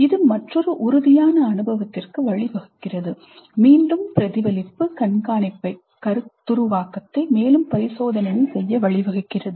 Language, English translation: Tamil, This leads to another concrete experience, again reflective observation, conceptualization, further experimentation